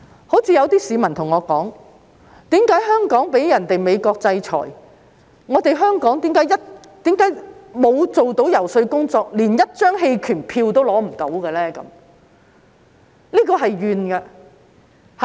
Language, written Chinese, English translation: Cantonese, 正如有些市民跟我說，在被美國制裁一事上，香港為何沒有做遊說工作，連一張棄權票也爭取不到？, As some members of the public have said to me why has Hong Kong not done any lobbying to secure at least one abstention on the issue of sanctions by the United States?